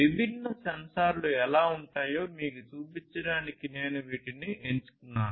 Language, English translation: Telugu, I picked up these ones in order to show you how different sensors look like